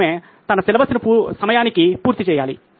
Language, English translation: Telugu, She has to finish her syllabus on time